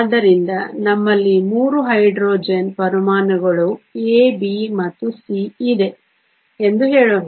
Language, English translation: Kannada, So, let us say we have 3 Hydrogen atoms A, B and C